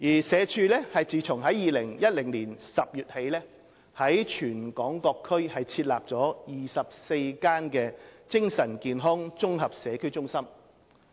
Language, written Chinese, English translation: Cantonese, 社署自2010年10月起在全港各區設立24間精神健康綜合社區中心。, Since October 2010 SWD has set up 24 Integrated Community Centres for Mental Wellness ICCMWs across the territory